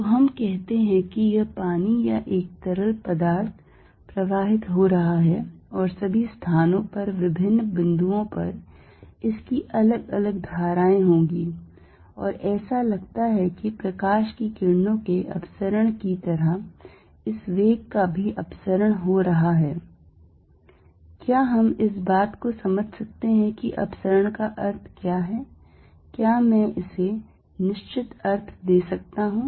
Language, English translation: Hindi, So, let us say this water or a fluid is flowing and all over the place it has a different current at different points and looks like light rays diverging that this velocity also diverging can we understand what this divergence means, can I give it definite meaning